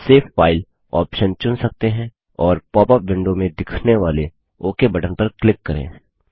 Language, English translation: Hindi, Now you can select the Save File option and click on the Ok button appearing in the popup window